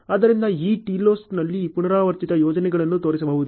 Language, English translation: Kannada, So, in way repetitive projects can be shown on this TILOS